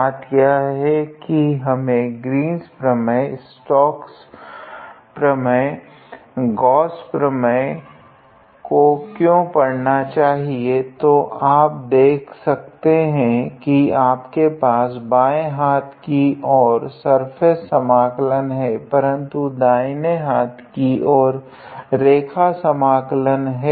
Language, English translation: Hindi, The thing is why do we have to study these theorems like Green’s theorem, Gauss theorem or Stokes’ theorem; so, you can see that on the left hand side you have a surface integral, but on the right hand side you have a line integral